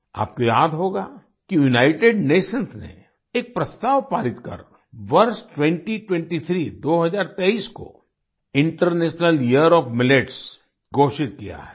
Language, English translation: Hindi, You will remember that the United Nations has passed a resolution declaring the year 2023 as the International Year of Millets